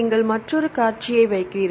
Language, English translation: Tamil, So, you put another sequence here